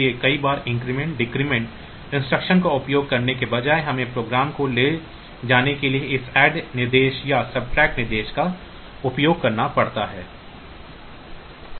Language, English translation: Hindi, So, many a times instead of using the increment decrement instruction, we have to use this add instruction or subtract instruction to make the program carry